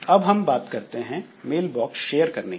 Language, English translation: Hindi, Some other issues like mail box sharing